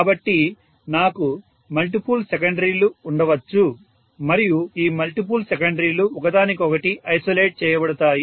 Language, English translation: Telugu, So I may have multiple secondaries and all these multiple secondaries will be isolated from each other